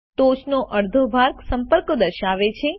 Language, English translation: Gujarati, The top half displays the contacts